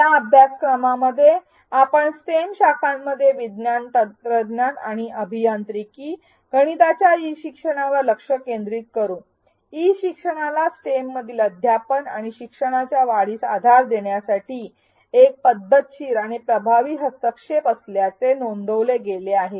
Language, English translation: Marathi, In this course we will focus on e learning in stem disciplines science technology engineering and mathematics; e learning has been reported to be a systematic and effective intervention to support enhancement of teaching and learning in stem